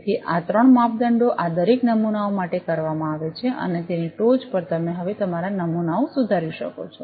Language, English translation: Gujarati, So, these three measurements are done for each of these samples and on top of that you can now modify your samples